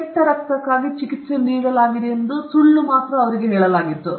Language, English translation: Kannada, They were only told that they were treated for bad blood